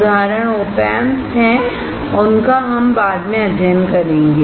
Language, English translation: Hindi, Examples are operational amplifiers or op amps and that we will study later